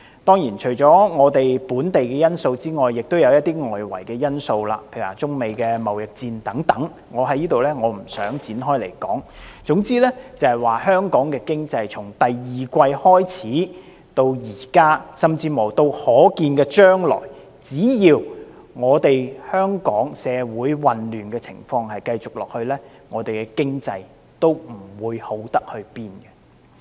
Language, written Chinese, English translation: Cantonese, 當然，除了本地因素之外，也有一些外圍因素，例如中美貿易戰等，我在此不作詳述，總之香港經濟從第二季開始至今，甚至乎到可見的將來，只要香港社會的混亂情況繼續下去，我們的經濟也不會好到哪裏。, Sure enough apart from local factors there are also some external factors such as the trade war between China and the United States which I am not going into details here . Anyway as far as Hong Kongs economy is concerned since the second quarter or even in the foreseeable future so long as the social chaos in Hong Kong remains our economy will not improve